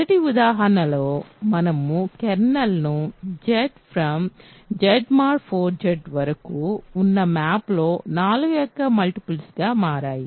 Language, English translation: Telugu, In the first example, that we looked at above kernel of the map from Z to Z mod 4 Z turned out to be multiples of 4